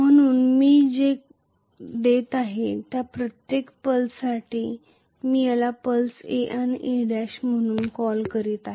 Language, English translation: Marathi, So, for every pulse what I am giving I am calling this as a pulse A and A Dash